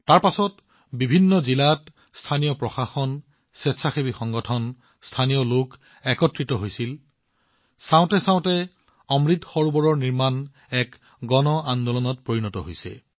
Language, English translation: Assamese, After that, the local administration got active in different districts, voluntary organizations came together and local people connected… and Lo & behold, the construction of Amrit Sarovars has become a mass movement